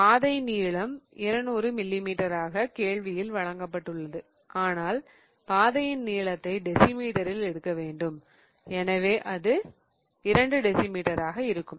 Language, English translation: Tamil, This is given to us as 200 millimeter but we have to take the path length in decimeter